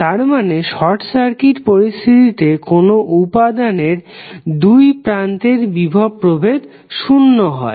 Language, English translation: Bengali, So, it means that under short circuit condition the voltage across the element would be zero